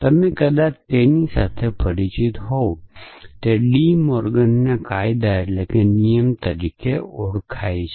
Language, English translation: Gujarati, And you might be familiar with them they are known as de Morgan’s laws